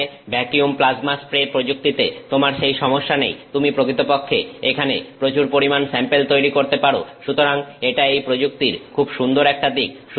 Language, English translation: Bengali, Here you do not have that problem in with vacuum plasma spray technique, you can actually make this large scale sample; so, that is a very nice aspect of it